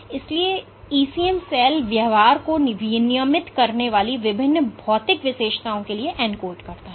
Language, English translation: Hindi, And ECM encodes for various physical features that regulate cell behavior